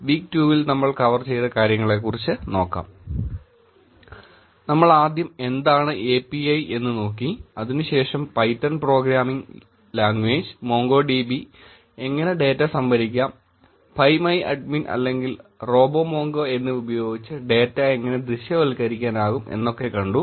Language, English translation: Malayalam, We started looking at what an API is, and then we looked at what Python Programming Languages, MongoDB, how the data is stored, how we can actually visualize the data using PhpMyAdmin or RoboMongo